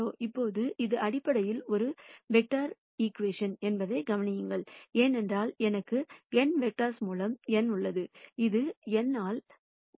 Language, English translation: Tamil, Now, notice that this is basically A vector equation, because I have n by n vector this is n by 1